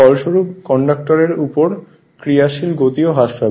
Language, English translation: Bengali, Consequently the force acting on the conductor will also decrease right